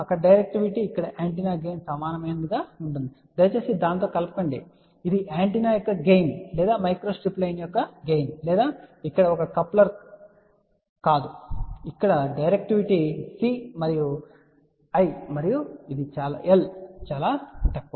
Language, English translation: Telugu, There the directivity will be something similar to gain of the antenna here please do not mix up with that it is not the gain of the antenna or gain of the micro strip line or a coupler here directivity is as simple as the difference between C and I and this is very poor ok